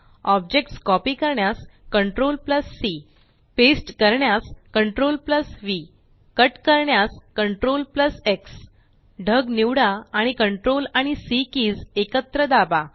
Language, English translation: Marathi, CTRL+C to copy an object CTRL+V to paste an object CTRL+X to cut an object Select the cloud and press the CTRL and C keys together